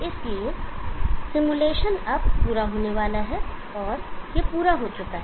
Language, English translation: Hindi, So the simulation is now about to complete and it has completed